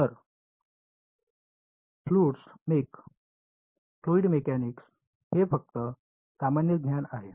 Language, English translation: Marathi, So, fluid mech fluid mechanics this is just sort of general knowledge